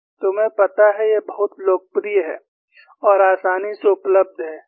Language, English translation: Hindi, You know, this is very popular and easily available